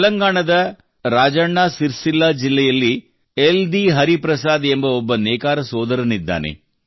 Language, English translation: Kannada, There is a weaver brother in Rajanna Sircilla district of Telangana YeldhiHariprasad Garu